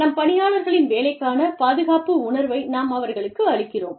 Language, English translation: Tamil, We give our employees, this security, the sense of security, about their jobs